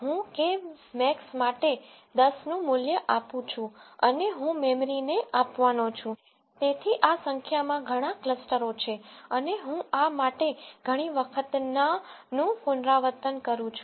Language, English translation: Gujarati, I am assigning a value of 10 to this K max and I am pre allocating a memory which is so this many number of clusters is there and I am repeating NAs for this many number of times